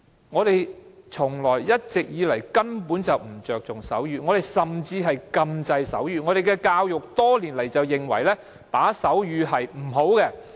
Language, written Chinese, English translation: Cantonese, 我們根本從不注重手語，甚至禁制手語，我們的教育多年來都認為打手語是不好的。, Actually we have never attached any importance to sign language or we have even forbidden the use of it because the use of sign language has been regarded as undesirable under our education system over all the years